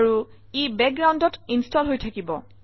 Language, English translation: Assamese, And it is installing it in the background